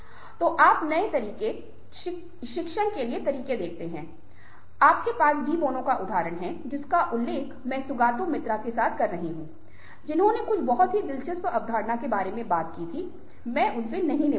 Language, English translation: Hindi, so you see that ah, new ways of thinking, new ways of teaching, ah, you have the example of de bono, which i am referring to, sougato mitra, who talked about ah, certain very interesting concepts